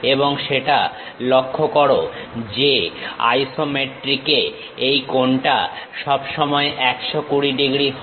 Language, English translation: Bengali, And note that in the isometric, this angle always be 120 degrees